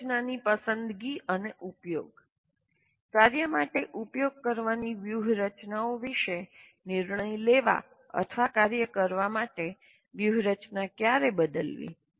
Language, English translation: Gujarati, So planning activities, then strategy selection and use, making decisions about strategies to use for a task or when to change strategies for performing a task